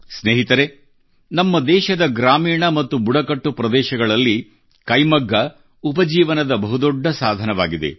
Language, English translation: Kannada, Friends, in the rural and tribal regions of our country, handloom is a major source of income